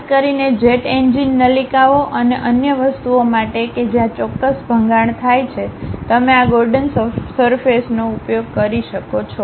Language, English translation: Gujarati, Especially, for jet engine ducts and other things where certain abruption happens, you use this Gordon surfaces